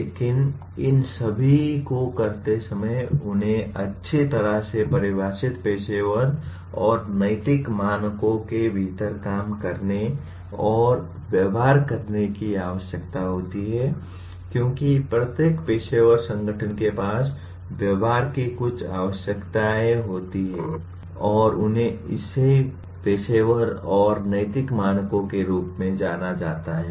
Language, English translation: Hindi, But while doing all these they are required to operate and behave within a within well defined professional and ethical standards because every professional organization has certain requirements of behavior and these are enunciated as professional and ethical standards